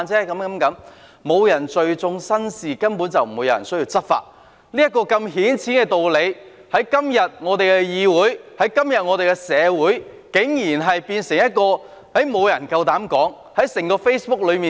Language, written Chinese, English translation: Cantonese, 若沒有人聚眾生事，根本便無須執法，這個如此顯淺的道理，在今天的議會、今天的社會，竟然沒有人夠膽說出來。, Had no one gathered and stirred up trouble there would have been no need for enforcement action . Surprisingly no one dares to voice such a simple notion in the Council and in society today